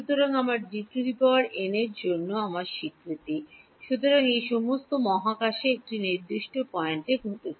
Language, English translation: Bengali, So, my D n that is my notation for; so, all of this is happening at a particular point in space